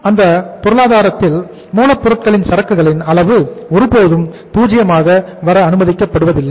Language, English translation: Tamil, Still in those economies also level of inventory of raw material is never allowed to come down to 0